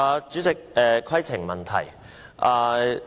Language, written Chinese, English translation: Cantonese, 主席，規程問題。, President a point of order